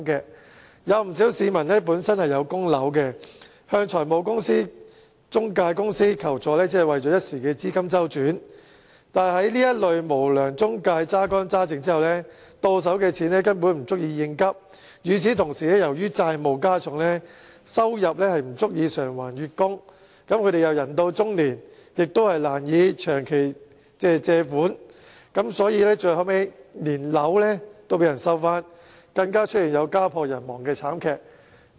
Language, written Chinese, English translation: Cantonese, 不少要供樓的市民，為一時的資金周轉向財務中介公司求助，但被這類無良中介榨乾榨淨後，到手的錢根本不足以應急；與此同時，由於債務加重，收入不足以償還月供，人到中年亦難以長期借貸，所以，最後連房屋也被收去，更出現家破人亡的慘劇。, But after being exhausted by these unscrupulous intermediaries the money that ends up in their hand is not even enough to meet their urgent need . Meanwhile due to the increased debt their income is not enough to repay the monthly instalment . It is also difficult for people approaching middle age to take out any long - term loans